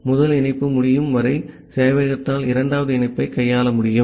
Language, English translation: Tamil, So, the server will not be able to handle the second connection until the first connection is complete